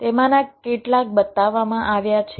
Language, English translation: Gujarati, so here some example is shown